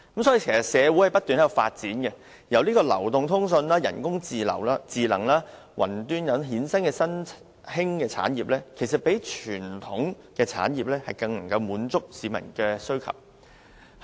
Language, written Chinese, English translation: Cantonese, 社會正在不斷發展，由流動通訊、人工智能及雲端科技等衍生的新興產業，比傳統產業更能滿足市民需求。, The world keeps developing in the aspects of mobile communications artificial intelligence and cloud technology and the merging industries derived from these technologies will be more able to satisfy the peoples needs than the traditional industries